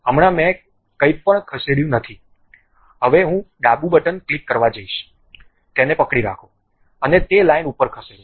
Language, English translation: Gujarati, Right now I did not move anything, now I am going to click left button, hold that, and move over that line